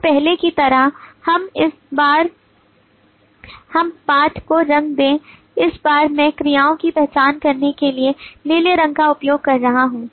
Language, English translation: Hindi, so like before we just colorizing the text this time i am using the blue colour to identify the verbs